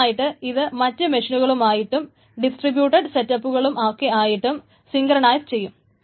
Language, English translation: Malayalam, So it synchronizes with other machines, other distributed setups, etc